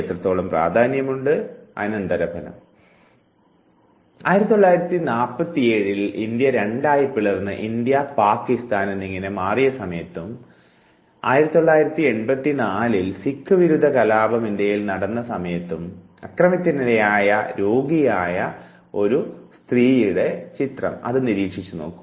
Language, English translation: Malayalam, Look at this sick lady who experienced violence twice in her life once, in nineteen forty seven she was young and India was divided into two half's India and Pakistan and again in nineteen eighty four when the anti sikh riot took place in India